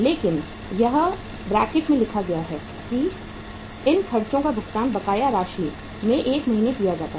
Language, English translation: Hindi, But it is written in the bracket these expenses are paid 1 month in arrears